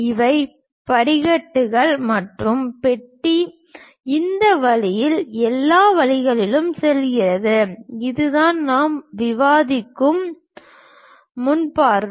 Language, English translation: Tamil, These are the steps and the box goes all the way in this way, that is the front view what we are discussing